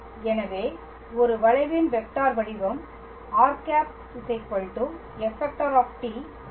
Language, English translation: Tamil, So, the vector form, of a curve is r equals to f t right